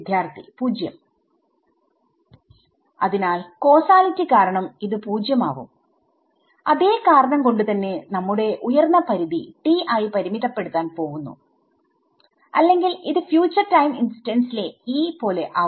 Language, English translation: Malayalam, Right so, due to causality this will becomes 0 due to causality and for the same reason we are going to limit our upper limit to t right otherwise this will like E at future time instance will also come over here right